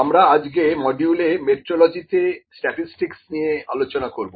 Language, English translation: Bengali, In this module, we are discussing the statistics in metrology